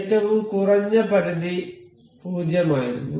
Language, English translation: Malayalam, So, we can see the minimum limit was 0